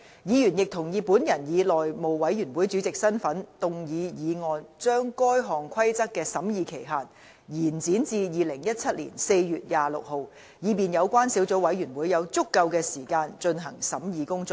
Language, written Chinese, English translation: Cantonese, 議員亦同意本人以內務委員會主席的身份動議議案，將該項規則的審議期限延展至2017年4月26日，以便有關小組委員會有足夠的時間進行審議工作。, Members also agreed that I move a motion in my capacity as the Chairman of the House Committee to extend the period for scrutinizing the Rules to 26 April 2017 so as to allow sufficient time for scrutiny by the Subcommittee